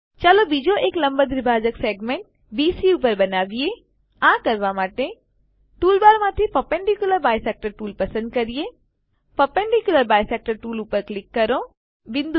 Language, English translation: Gujarati, Lets construct a second perpendicular bisector to segment BC to do this Select perpendicular bisector tool from the tool bar, click on the perpendicular bisector tool